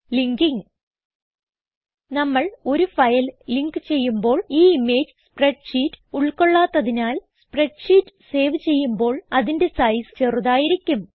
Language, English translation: Malayalam, Linking When we link a file: First, it reduces the size of the spreadsheet when it is saved Since our spreadsheet does not contain the image